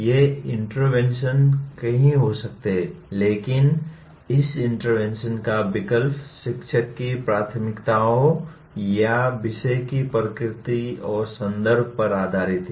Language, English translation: Hindi, These interventions can be many but the choice of this intervention is based on the preferences of the teacher, or the nature of the subject and the context